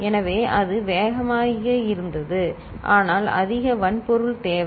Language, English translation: Tamil, So, there it was faster, but requiring more hardware